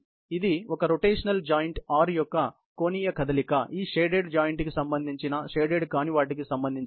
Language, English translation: Telugu, A rotational joint R, which is some kind of an angular motion of one joint, with respect to this shaded joint, with respect to the non shaded one